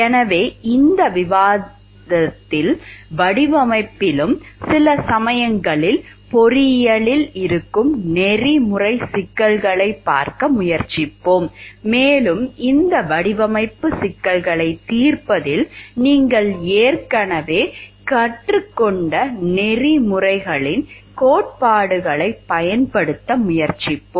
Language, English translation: Tamil, So, in this discussion we will try to look into the; in this discussion we will try to look into the ethical issues, which are sometimes there in engineering, in design also and we try to use the theories of ethics that is already learned in how to solve this design problems